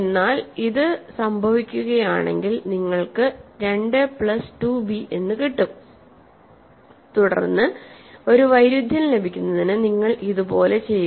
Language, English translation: Malayalam, But, if this happens you have 2 a plus 2 b and continue, ok, so you continue like this to get a contradiction